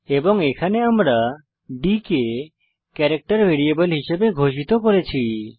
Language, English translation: Bengali, And here we have declared d as a character variable